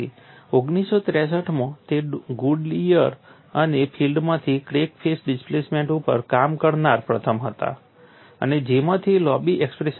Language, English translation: Gujarati, From that Goodier and Field in 1963 where the first to work out the crack face displacements, and from which obtained a long expression